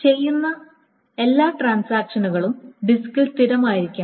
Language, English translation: Malayalam, All the transactions that are done must also be persistent on the disk